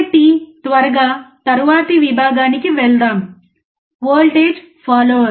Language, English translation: Telugu, So, let us quickly move to the next section: Voltage follower